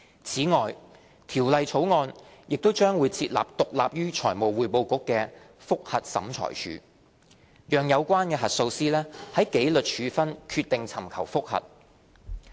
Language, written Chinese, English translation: Cantonese, 此外，《條例草案》亦將設立獨立於財務匯報局的覆核審裁處，讓有關核數師就紀律處分決定尋求覆核。, In addition the Bill will also introduce a Review Tribunal that is independent of the Financial Reporting Council so as to allow the auditor to seek a review of a decision on disciplinary sanctions